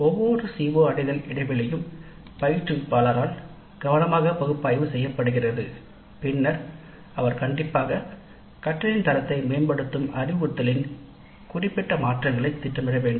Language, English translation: Tamil, Each CO attainment gap is carefully analyzed by the instructor and then he or she must plan the specific changes to instruction that improve the quality of the learning and these improvement plans must be specific